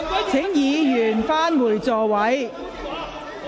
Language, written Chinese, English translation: Cantonese, 請議員返回座位。, Will Members please return to their seats